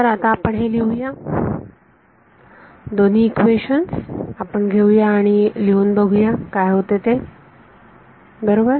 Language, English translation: Marathi, So, let us let us write it out so, let us take both are Maxwell’s equations and try to write out what happenes right